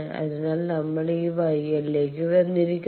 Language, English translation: Malayalam, So, we have come to this Y 1